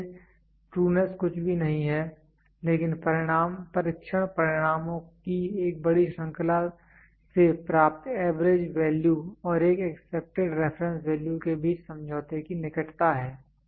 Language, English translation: Hindi, So, trueness is nothing, but closeness to of agreement between the average values obtained from a large series of test results and an accepted reference value